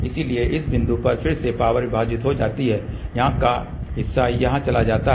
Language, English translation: Hindi, So, then at this point again the power gets divided part of that goes here part of that comes over here